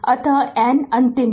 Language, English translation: Hindi, So, and n is the last one right